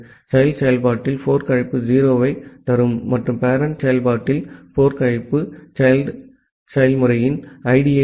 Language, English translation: Tamil, In the child process, the fork call will return a 0 and in the parent process the fork call will return the ID of the child process